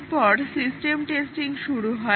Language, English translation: Bengali, And then, the testing starts